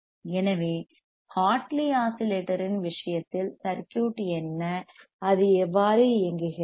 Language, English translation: Tamil, So, in case of Hartley oscillator what is athe circuit and how does it work